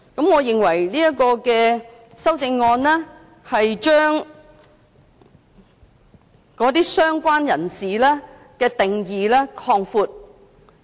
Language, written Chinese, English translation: Cantonese, 我認為這項修正案將"相關人士"的定義擴大。, I consider this group of amendments an extension of the definition of related person